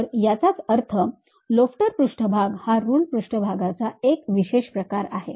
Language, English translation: Marathi, So, lofter surface is a specialized form of your ruled surface